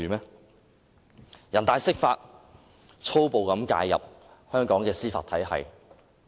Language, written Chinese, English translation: Cantonese, 人大常委會釋法，多次粗暴介入香港的司法體系。, The interpretation of the Basic Law by NPCSC time and again had violently interfered in the judicial system of Hong Kong